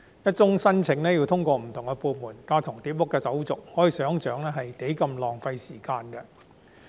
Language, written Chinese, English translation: Cantonese, 一宗申請要通過不同部門、完成架床疊屋的手續，相當浪費時間。, All applications must go through overlapping formalities of different departments which is a serious waste of time